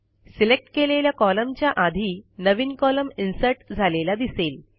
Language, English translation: Marathi, You see that a new column gets inserted before the selected cell column